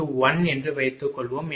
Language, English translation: Tamil, So, that is actually 0